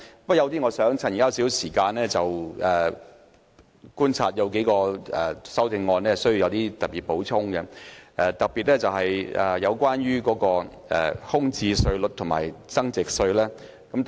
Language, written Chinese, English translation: Cantonese, 我想利用這些時間，按我的觀察就數項修正案作出補充，特別是關於住宅物業空置稅及物業增值稅的建議。, Anyway I am very grateful to Members for their different views on this subject . I want to use this time to comment further on the amendments based on my observations particularly on the proposal to introduce a vacant residential property tax and capital gains tax